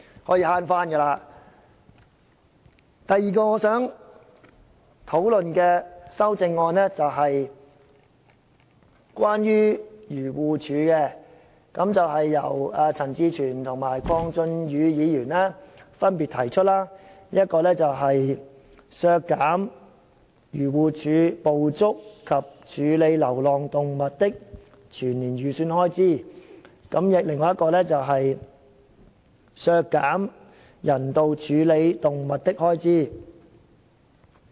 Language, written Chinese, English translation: Cantonese, 我想討論的另外兩項修正案是關於漁農自然護理署的，分別由陳志全議員及鄺俊宇議員提出，一項旨在削減漁護署捕捉及處理流浪動物的全年預算開支，另一項則削減漁護署用於人道處理動物的開支。, The other two amendments which I wish to discuss concern the Agriculture Fisheries and Conservation Department AFCD and they are proposed by Mr CHAN Chi - chuen and Mr KWONG Chun - yu respectively . One of the amendments seeks to cut the estimated annual expenditure for AFCD to catch and treat stray animals and the other one aims to cut the expenditure for AFCDs humane handling of animals